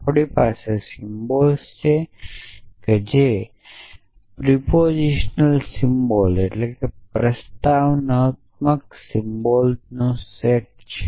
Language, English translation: Gujarati, So, we have symbols which is set of proposition symbols